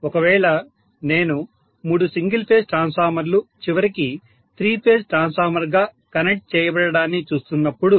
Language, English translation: Telugu, Whereas if I look at three single phase Transformers connected ultimately as the three phase transformer ok